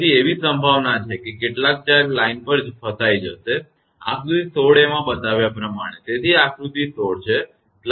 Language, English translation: Gujarati, So, there is a possibility that some charge will trapped on the line; as shown in figure 16 a; so, this is figure 16